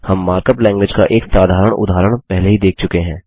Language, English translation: Hindi, We already saw one simple example of the mark up language